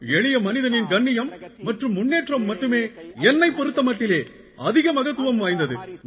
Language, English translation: Tamil, The esteem and advancement of the common man are of more importance to me